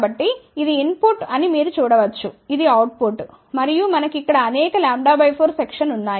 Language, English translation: Telugu, So, you can see here this is input, this is output, and we have several lambda by 4 sections over here